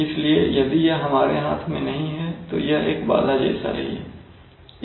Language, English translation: Hindi, So if it is not in our hand then it is like a disturbance